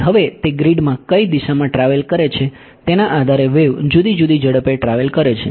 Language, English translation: Gujarati, So, now the wave travels at different speeds depending on which direction it is travelling in the grid